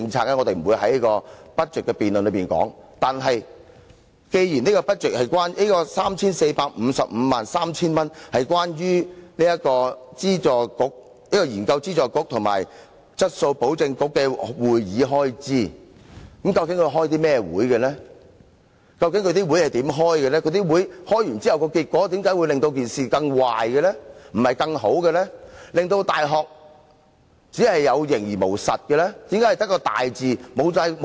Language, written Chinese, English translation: Cantonese, 然而，既然 34,553,000 元是關於教資會、研究資助局及質素保證局的會議開支，究竟是甚麼會議？為何召開會議之後的結果會令到事情變得更壞而不是更好，令到大學有形而無實的呢？, But since this 34,553,000 is for the meetings of UGC RGC and QAC we want to know what these meeting are how they are held and why things simply get worse and the universities cannot perform their true functions after all these meetings